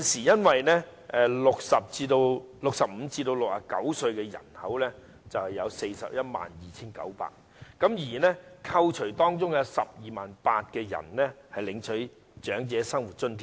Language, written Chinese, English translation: Cantonese, 現時65歲至69歲的人口有 412,900 人，但當中有 128,000 人領取長者生活津貼。, At present there are 412 900 people aged 65 to 69; however 128 000 of them are receiving the Old Age Living Allowance OALA